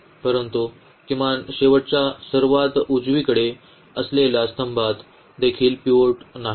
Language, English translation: Marathi, So, but, but at least the last the rightmost column also does not have a pivot